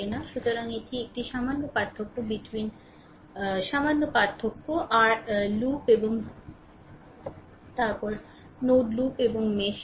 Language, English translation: Bengali, So, this there is a slight difference between your loop and then node right loop and the mesh